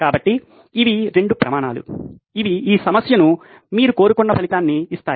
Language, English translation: Telugu, So, these are 2 criteria that will give you the desired result that you are seeking in this problem